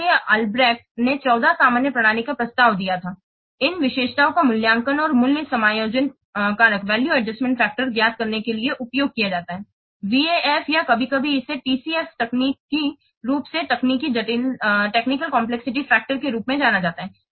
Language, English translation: Hindi, So now I'll best had proposed 14 general system characteristics these are evaluated and used to compute a value adjustment factor known as VAF or sometimes it is known as TCF, technically technical complexity factors